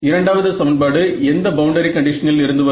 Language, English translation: Tamil, Second equation becomes second equation would be coming from which boundary condition